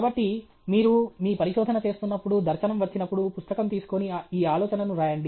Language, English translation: Telugu, So, when you are doing your research, when the dharshana comes, take a note book and write down this idea